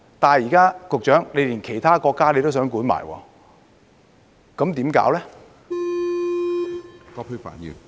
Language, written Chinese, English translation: Cantonese, 但是，現在局長連其他國家也要管，那怎麼辦呢？, However now the Secretary is even minding the business of other countries . What should we do?